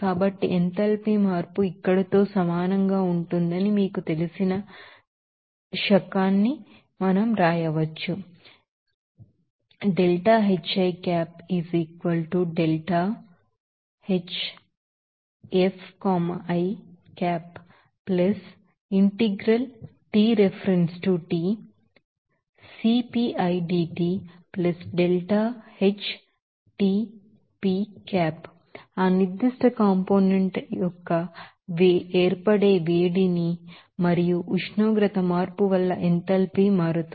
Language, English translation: Telugu, So, we can write the era you know that the enthalpy change will be equal to here, heat of formation of that particular component i or A and the enthalpy change because of that, you know, temperature change